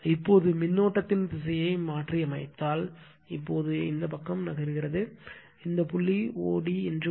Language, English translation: Tamil, Now, further if you reverse the direction of the current right, now this side you are moving, you will come to some point o d right that this point o d